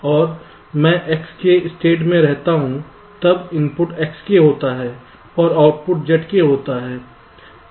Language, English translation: Hindi, so, from s i to s k, we make a transition when the input is x i and the output is z k